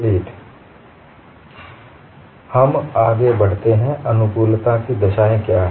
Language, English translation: Hindi, Now, we move on to what are compatibility conditions